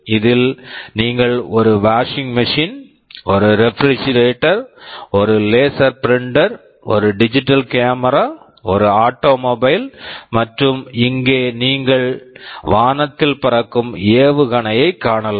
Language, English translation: Tamil, You see these examples, here you see a washing machine, this is a refrigerator, this is a laser printer, this is a digital camera, this is an automobile and here you can see a missile that is flying through the sky